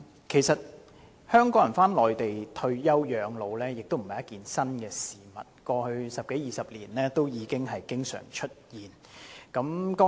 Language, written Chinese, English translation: Cantonese, 其實，香港人返回內地退休養老並非新鮮事，過去十多二十年已經常出現。, Actually it is nothing new that Hong Kong people move to the Mainland and age there upon retirement for this has been quite common over the past two decades